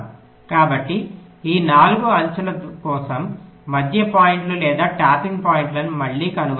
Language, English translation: Telugu, so again find out the middle points or the tapping points for these four edges